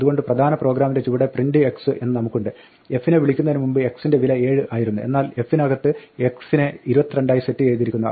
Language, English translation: Malayalam, So the bottom of the main program we have print x, now x was 7 before f was called but x got set to 22 inside f